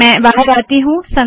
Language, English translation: Hindi, Let me exit here